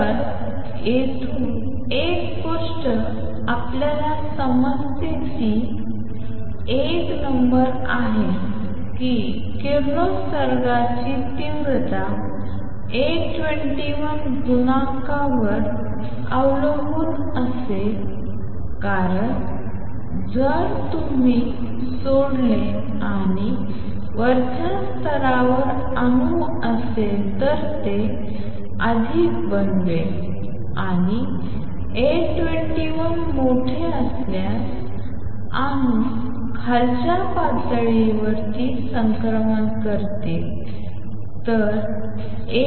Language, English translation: Marathi, So, one thing we understand from here is number one that the intensity of radiation will depend on A 21 coefficient because if you leave and atom in the upper level it will make more and more atoms will make transition to lower levels if A 21 is larger